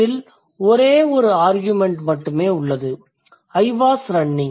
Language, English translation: Tamil, There is only one argument present that is I, I was running